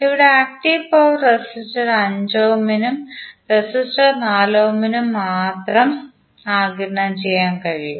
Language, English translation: Malayalam, Here the active power can only be absorbed by the resistor 5 ohm and the resistor 4 ohm